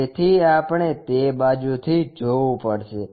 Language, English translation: Gujarati, So, we have to look from that side